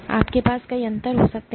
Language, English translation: Hindi, You can have multiple differences as you